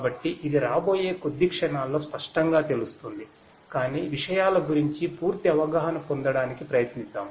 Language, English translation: Telugu, So, that this will make it clearer in the next few moments, but let us try to get an overall understanding of the things